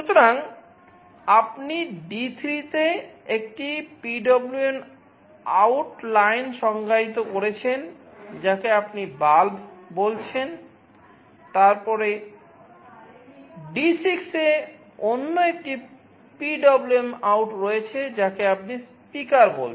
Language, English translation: Bengali, So, you are defining a PwmOut line on D3, which you call as “bulb”, then another PwmOut ut on D6, which you call “speaker”